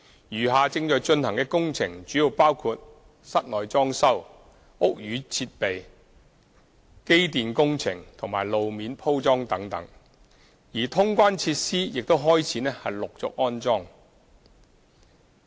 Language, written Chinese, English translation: Cantonese, 餘下正在進行的工程主要包括室內裝修、屋宇設備、機電工程及路面鋪裝等，而通關設施亦已開始陸續安裝。, The remaining works being carried out mainly include indoor fitting - out works building services works electric and mechanical works road surfacing works etc . Installation of clearance facilities are also in progress